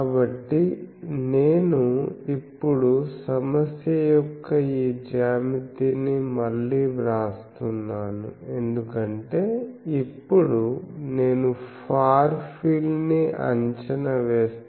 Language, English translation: Telugu, So, I now write the this geometry of the problem again because now, I will make a Far field approximation